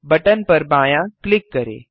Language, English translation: Hindi, Left click on the button